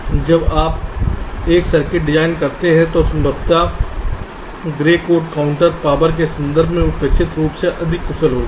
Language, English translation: Hindi, so when you design a circuit, expectedly grey code counter will be more efficient in terms of power